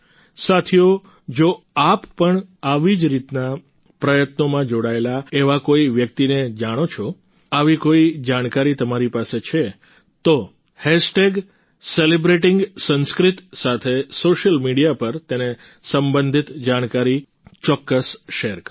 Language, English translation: Gujarati, Friends, if you know of any such person engaged in this kind of effort, if you have any such information, then please share the information related to them on social media with the hashtag Celebrating Sanskrit